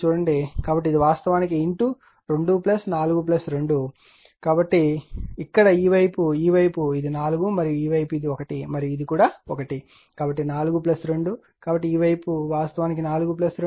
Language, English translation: Telugu, So, this is actually your into 2 plus 4 plus 2, where in this side this side this side it is 4 and this side is for your what you call this side it is 1 and this is also 1 so, 4 plus 2 so, this side actually 4 plus 2